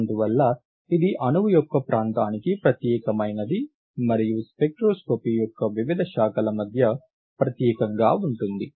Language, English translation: Telugu, Therefore you see that it is unique to the region for the molecule as well as it is unique between the different branches of spectroscopy